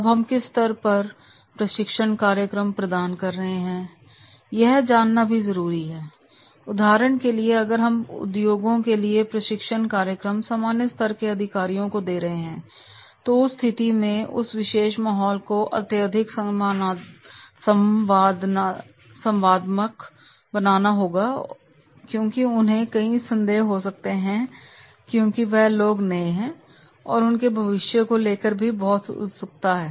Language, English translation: Hindi, Now at what level training program we are providing for example for the industries if we are providing a training program to the junior level executives then that case, that particular environment has to be highly interactive because they were having many doubts because they have just entered into the profession and they have many curiosity about the future